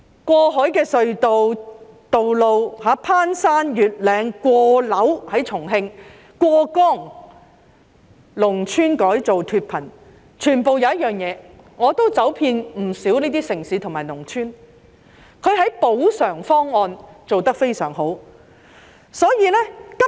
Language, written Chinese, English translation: Cantonese, 過海隧道、攀山越嶺、過樓——在重慶——過江的道路、農村改造脫貧，我走遍不少這些城市及農村，他們的補償方案做得非常好。, Whether it is the construction of cross - harbour tunnels; roads through the mountains buildings―in Chongqing―and across the river; rural transformation to get rid of poverty I have visited many of these cities and rural villages their compensation packages are excellent